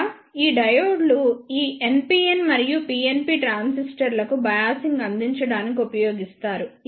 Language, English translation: Telugu, Here these diodes are used to provide the biasing to these NPN and PNP transistors